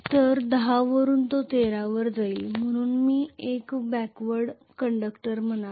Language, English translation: Marathi, So from 10 it will go to 13 so I should say 1 the backward conductor